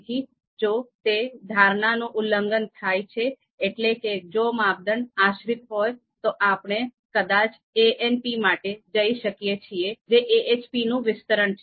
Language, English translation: Gujarati, So as you can see here itself if criteria are dependent, then probably we can go for ANP, which is actually an expansion of AHP